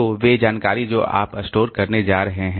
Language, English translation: Hindi, So, those information how are you going to store